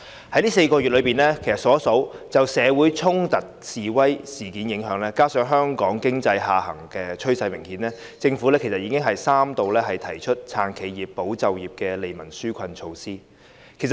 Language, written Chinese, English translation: Cantonese, 在這4個月以來，因應社會上衝突和示威事件的影響，加上香港經濟下行趨勢明顯，政府其實已經三度推出"撐企業、保就業"的利民紓困措施。, In view of the impact of conflicts and demonstrations in society plus the obvious downward trend of Hong Kong economy the Government has in fact introduced on three occasions over the past four months relief measures to support enterprises and safeguard jobs